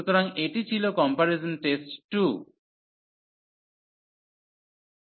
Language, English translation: Bengali, So, this was the comparison test 2